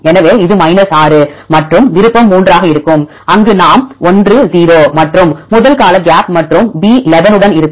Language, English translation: Tamil, So, this will be 6 and option 3 we go there is 1,0 and with the gap in the first term and the b11